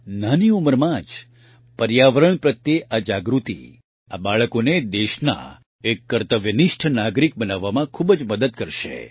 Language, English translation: Gujarati, This awareness towards the environment at an early age will go a long way in making these children dutiful citizens of the country